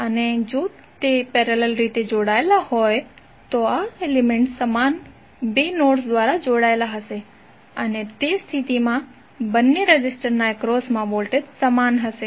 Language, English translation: Gujarati, Now if those are connected in parallel then this elements would be connected through the same two nodes and in that case the voltage across both of the resistors will be same